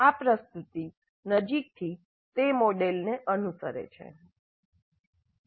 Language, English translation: Gujarati, This presentation closely follows that model